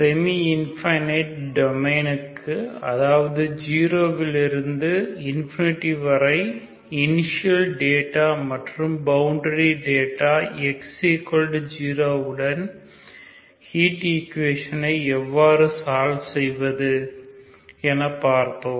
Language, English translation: Tamil, So welcome back in the last video we have seen how to the solve a heat equation for semi infinite domain that is from 0 to infinity with the initial data and boundary data at x equal to 0